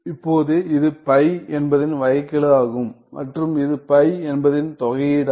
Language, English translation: Tamil, Now, this is derivative of phi and this is integral of phi